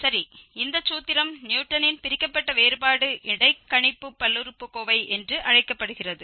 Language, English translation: Tamil, Well, so this formula is called Newton's Divided difference interpolating polynomial